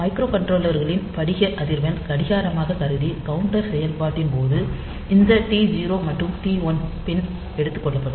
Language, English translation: Tamil, So, microcontrollers crystal frequency will be taken as the clock and in case of counter operation this T 0 and T 1 pins